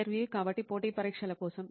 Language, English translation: Telugu, So for the competitive exams